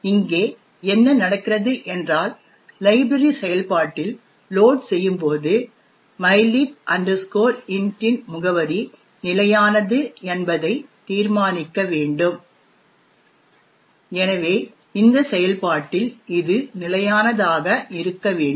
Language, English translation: Tamil, What is happening here is that the when the library is getting loaded into the process would determine that the address of mylib int has to be fixed and therefore it would be fixed it in this function